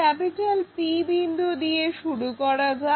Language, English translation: Bengali, Let us begin with a point P